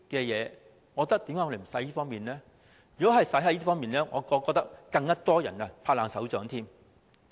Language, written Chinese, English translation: Cantonese, 如果花在這些服務上，我覺得會有更多人"拍爛手掌"。, I think if it is spent on these services more people will give it a big hand